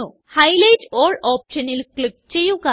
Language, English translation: Malayalam, Click on Highlight all option